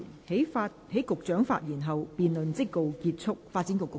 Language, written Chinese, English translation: Cantonese, 在局長發言後，辯論即告結束。, The debate will come to a close after the Secretary has spoken